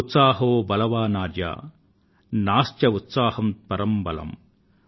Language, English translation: Telugu, Utsaaho balwaanarya, Naastyutsaahaatparam balam |